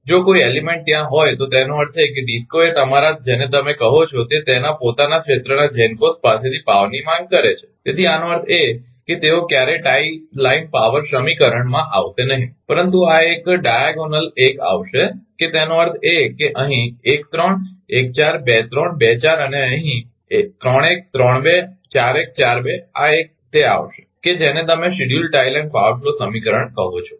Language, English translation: Gujarati, If any element is there mean DISCO is demanding power right from the your what you call from the GENCOs of it is own area so; that means, they will never come into the tie line power equation right, but this one will come this diagonal 1 that; that means, here 1 3, 1 4, 2 3, 2 4 and here 3 1, 3 2, 4 1, 4 2 these 1 will come in that your what you call in the schedule tie line power flow equation right